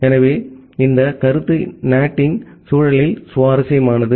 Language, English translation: Tamil, So, this concept is interesting in the context of in the context of NAT